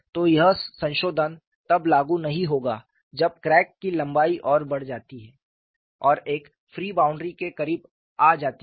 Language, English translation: Hindi, So, this modification will not be applicable when that crack length increases further and comes closer to a free boundary